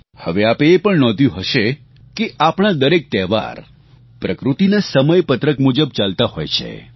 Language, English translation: Gujarati, You would have noticed, that all our festivals follow the almanac of nature